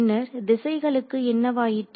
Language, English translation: Tamil, So, what happens to the direction then